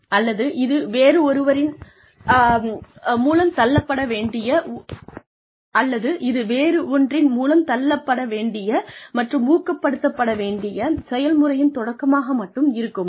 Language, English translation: Tamil, Or, will it only start a process, that will have to be pushed and motivated, by something else